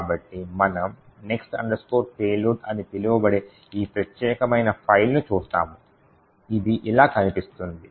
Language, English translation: Telugu, So, we would look at this particular file called next underscore payload which looks something like this